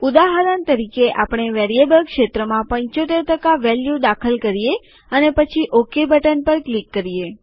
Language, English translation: Gujarati, For example,we enter the value as 75% in the Variable field and then click on the OK button